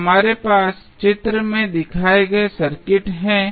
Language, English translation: Hindi, So, we have the circuit given in the figure